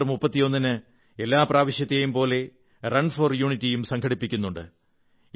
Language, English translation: Malayalam, On 31st October, this year too 'Run for Unity' is being organized in consonance with previous years